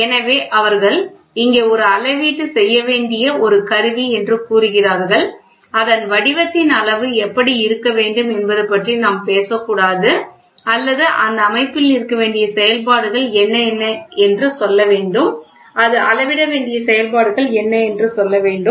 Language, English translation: Tamil, So, try they say here is an instrument which has to be this this this this this measurement we should not talk about what should be the shape size how does it look like or those things we have to say what is the functions which should be there in the system and what should be there you need a functions it should measure